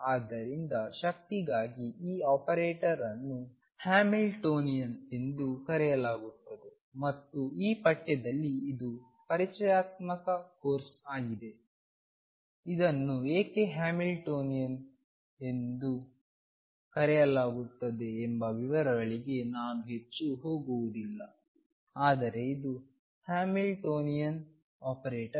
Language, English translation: Kannada, So, this operator for the energy is known as the Hamiltonian and in this course this is an introductory course, I am not going to go more into details of why this is called Hamiltonian, but this is the Hamiltonian operator